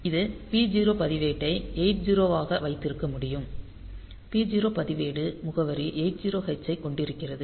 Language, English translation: Tamil, So, this is ah; so, we can have this p 0 register is this 8 0; p 0 registers the address is 80 h